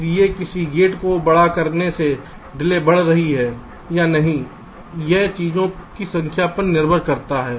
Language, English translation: Hindi, so by making a gate larger, whether or not the delay will go up or go down, it depends on number of things